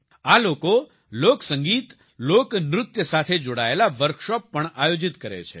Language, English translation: Gujarati, These people also organize workshops related to folk music and folk dance